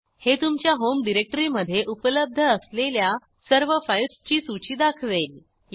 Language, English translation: Marathi, This will list all the files present in your home directory